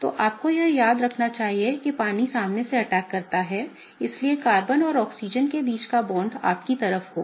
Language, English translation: Hindi, Okay, that’s what you want to remember that water attack from the front, so the bond between Carbon and Oxygen will be towards you